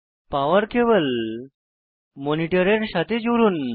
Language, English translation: Bengali, Connect the power cable to the monitor, as shown